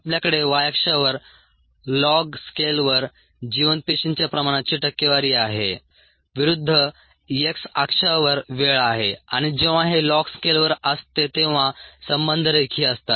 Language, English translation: Marathi, we have on the y axis the percent viable cell concentration on a long scale versus time on the x axis and the relationship is linear